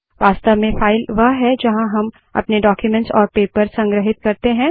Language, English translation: Hindi, In real file a file is where we store our documents and papers